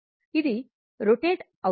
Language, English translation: Telugu, Now, it is revolving